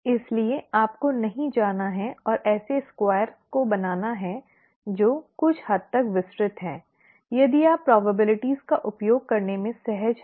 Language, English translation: Hindi, So you don’t have to go and draw squares which is somewhat elaborate and so on, if one is comfortable with using probabilities